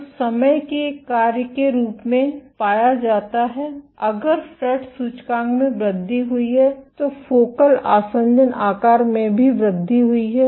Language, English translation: Hindi, So, found as a function of time if the fret index increased the focal adhesion size also grew